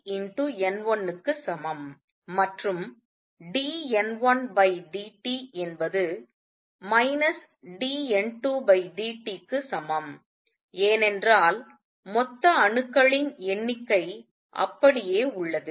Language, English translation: Tamil, And d N 1 over dt is equal to minus d N 2 by dt, because the total number of atoms remains the same